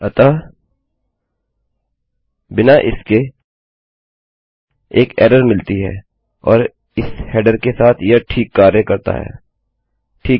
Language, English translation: Hindi, So without this we get an error and with this our header works fine, okay